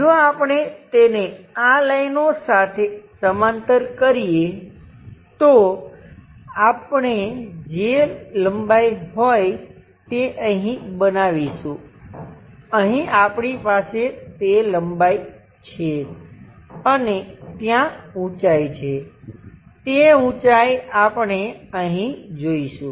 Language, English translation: Gujarati, If we do that parallel to these lines, we are going to construct whatever this length we have that length here, and there is a height that height we are going to see here